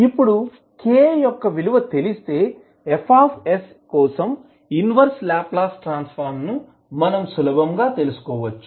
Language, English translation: Telugu, Now, once the value of k i are known, we can easily find out the inverse Laplace transform for F s